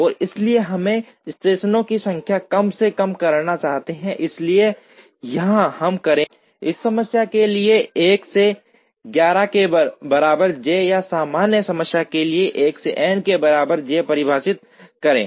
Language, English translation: Hindi, And therefore, we would like to minimize the number of stations, so here we would define j equal to 1 to 11 for this problem or j equal to 1 to n for a general problem